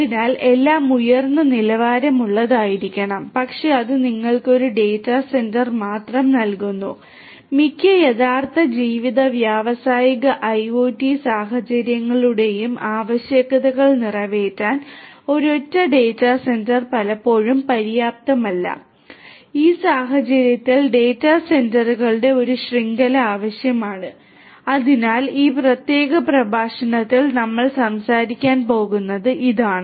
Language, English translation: Malayalam, So, everything has to be high end, but that gives you a data centre only, a single data centre is often not enough to cater to the requirements of most of the real life industrial IoT scenarios, in which case a network of data centres would be required